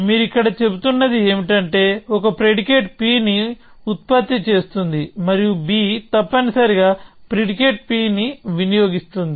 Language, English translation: Telugu, And what you are saying here is that a produces a predicate p and b consumes a predicate b predicate p essentially